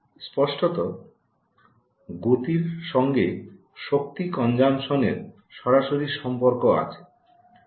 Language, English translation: Bengali, speed is directly got to do with energy consumption